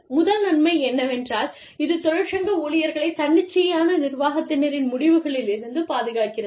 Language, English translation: Tamil, The first benefit is, that it protects, the union employees, from arbitrary management decisions